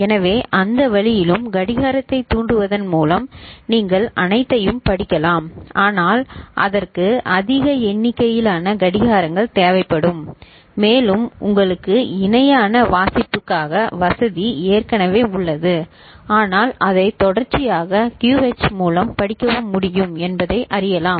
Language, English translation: Tamil, So, that way also, you can read all of them by triggering of the clock, but it will require more number of clocks and you already have the option of parallel reading ok, but to know that it is also possible to serially read it through QH, fine